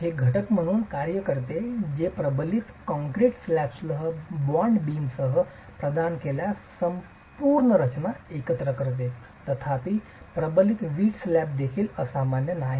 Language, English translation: Marathi, It acts as an element that ties the entire structure together if provided with bond beams along with the reinforced concrete slab